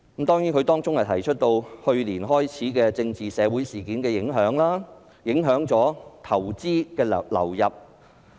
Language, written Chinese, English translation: Cantonese, 該基金會提到，去年開始的政治社會事件，影響到投資的流入。, According to the Foundation the political and social incidents which started last year have affected capital inflow